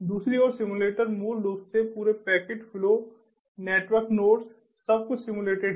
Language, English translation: Hindi, simulators, on the other hand, basically simulate the entire thing: packet flows, the network, the nodes, everything is simulated